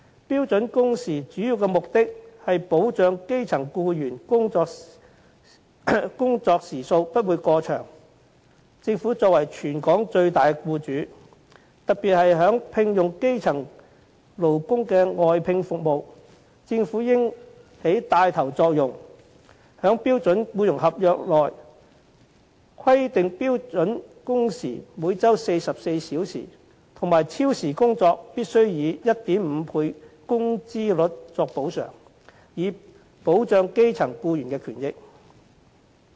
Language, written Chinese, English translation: Cantonese, 標準工時的主要目的是保障基層僱員工作時數不會過長，政府作為全港最大僱主，特別是在聘用基層勞工的外聘服務方面，政府應起帶頭作用，在標準僱傭合約內規定標準工時每周44小時和超時工作必須以 1.5 倍工資率作補償，以保障基層僱員的權益。, The main objective of setting standard working hours is to protect grass - roots workers from having to work excessively long hours . The Government is the biggest employer in Hong Kong and particularly in respect of outsourced services for which grass - roots workers are employed the Government should take the lead to specify in the standard employment contract standard working hours of 44 hours per week and an overtime pay rate of 1.5 times of the basic pay rate in order to protect the rights and benefits of grass - roots employees